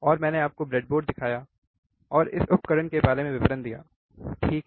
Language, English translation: Hindi, And I have shown you the breadboard devices and the details about the equipment, right